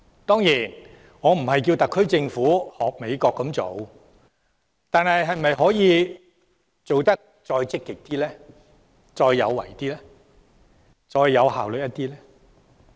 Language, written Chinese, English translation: Cantonese, 當然，我並非要求特區政府仿效美國，但政府在行事時可否更積極、更有為和更有效率呢？, Certainly I am not asking the SAR Government to follow the example of the United States Government . But then can we be more proactive? . Can we do more?